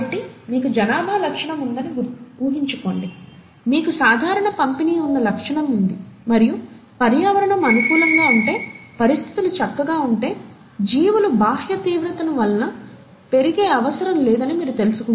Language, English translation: Telugu, So, assume that you do have a population trait, you have a trait for which there is a normal distribution and you find that if the environment is conducive and the conditions are fine, there’s no need for the outer extreme of the organisms to grow